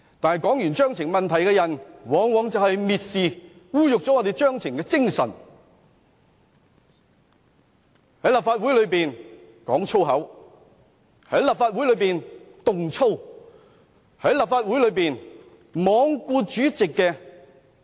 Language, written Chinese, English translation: Cantonese, 不過，提出規程問題的議員往往蔑視、污辱規程的精神，在立法會內講粗口，在立法會內動粗，在立法會內罔顧主席的命令。, However those Members raising points of order are always the ones to despise and dishonour the spirit of the procedures . They swear in the Legislative Council . They behave violently in the Legislative Council